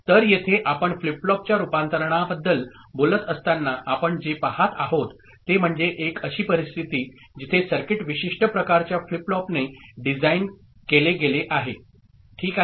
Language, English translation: Marathi, So, here when you are talking about conversion of flip flops, so what actually we are looking at is a case, a situation, where a circuit has been designed with a particular kind of flip flop ok